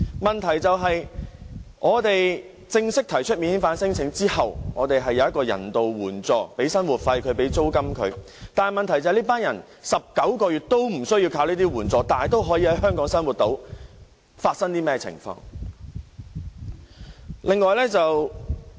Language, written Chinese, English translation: Cantonese, 在他們正式提出免遣返聲請後，我們會提供人道援助，包括生活費和租金，但問題是，這群人在19個月內都無須靠這些援助仍能在香港生活，究竟是甚麼的一回事？, Having officially lodged non - refoulement claims they were provided with humanitarian assistance including living and rental allowances . The point is they did not have to rely on such assistance but could still maintain their living in Hong Kong during the 19 months in hiding . What does this mean?